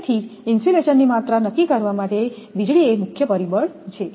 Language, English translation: Gujarati, So, lightning is the major factor to decide the amount of insulation for everything